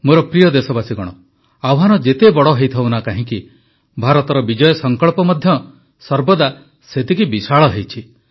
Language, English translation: Odia, My dear countrymen, however big the challenge be, India's victoryresolve, her VijaySankalp has always been equal in magnitude